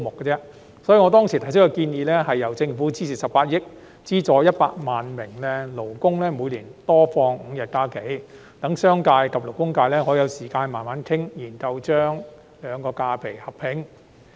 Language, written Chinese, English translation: Cantonese, 因此，我當時建議由政府支付18億元，資助100萬名勞工，每年多放5日假期，讓商界及勞工界可以有時間慢慢討論，研究將兩類假期劃一。, Therefore I proposed that the Government pay 1.8 billion to subsidize 1 million workers to enjoy five more holidays each year so that the business sector and the labour sector could have time to discuss and study the alignment of the two types of holidays